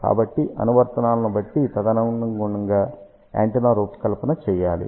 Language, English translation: Telugu, So, depending upon the application, we have to design the antenna accordingly